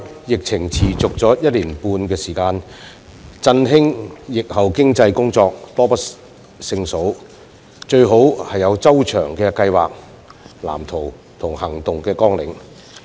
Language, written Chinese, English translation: Cantonese, 疫情已持續一年半，振興疫後經濟的工作多不勝數，因此最好有周詳計劃、藍圖及行動綱領。, Given that the epidemic situation has persisted for already one and a half years and there is countless work on revitalizing the post - pandemic economy we should better draw up comprehensive plans blueprints and action plans